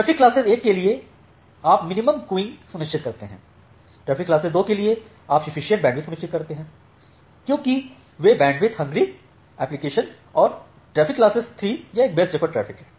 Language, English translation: Hindi, So, for traffic class 1 you ensure minimum queuing delay, for traffic class 2 you ensure sufficient bandwidth because those are bandwidth hungry applications and traffic class 3 it is a best effort traffic